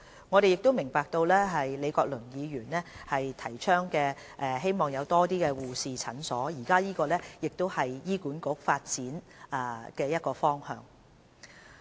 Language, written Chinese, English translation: Cantonese, 我們亦明白李國麟議員希望有更多護士診所，這亦是醫管局的其中一個發展方向。, We understand that Prof Joseph LEE would like to see the setting up of more nurse clinics in Hong Kong and this is precisely one of the development directions of HA